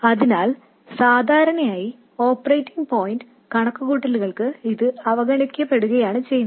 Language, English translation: Malayalam, So, usually what is done is for operating point calculations, this is ignored